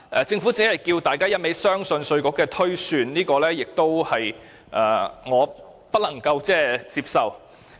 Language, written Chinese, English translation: Cantonese, 政府只是不斷要求大家相信稅務局的推算，這是我不能接受的。, The Government has merely urged us time and again to believe the estimation of IRD which is unacceptable to me